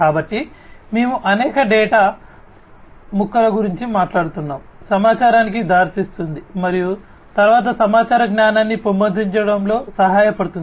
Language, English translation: Telugu, So, we are talking about data, data you know several pieces of data can lead to information and then information can build help in building knowledge